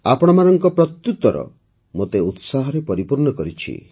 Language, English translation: Odia, The response you people have given has filled me with enthusiasm